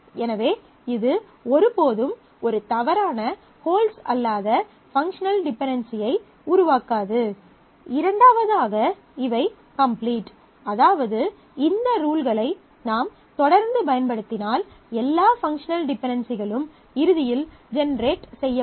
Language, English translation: Tamil, So, it will never generate a functional dependency which is not correct, which will not hold and the second it is complete which means that if I keep on using these rules, then all functional dependencies that can at all hold will eventually get generated